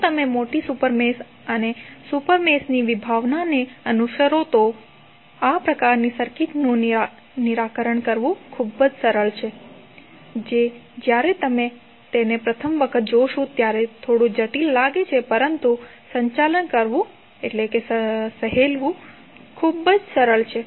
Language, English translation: Gujarati, So, if you follow the concept of larger super mesh and the super mesh it is very easy to solve these kind of circuits which looks little bit complicated when you see them for first time but it is very easy to handle it